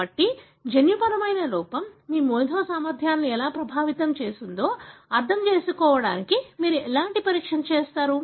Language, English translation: Telugu, So, what kind of assays you will do to understand how the gene defect affected your intellectual abilities